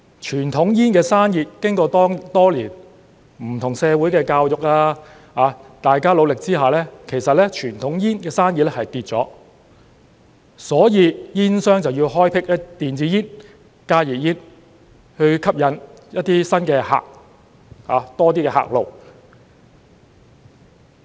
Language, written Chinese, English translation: Cantonese, 傳統煙的生意經過多年不同的社會教育及大家的努力之下，其實傳統煙的生意已下跌，所以煙商就要開闢電子煙、加熱煙，以吸引新客，多一些客路。, After years of various social education initiatives and our concerted efforts the business of conventional cigarettes has actually dropped . As a result tobacco companies have to start developing electronic cigarettes and heated tobacco products HTPs to attract new patrons and grow their clientele